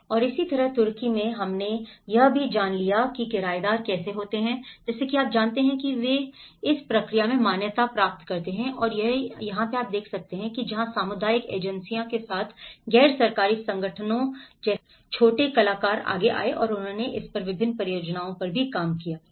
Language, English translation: Hindi, And similarly, in Turkey, we have also learned about how the renters, you know they are not recognized in the process and that is where the small actors like NGOs with community agencies came forward and they also worked on different projects on it, right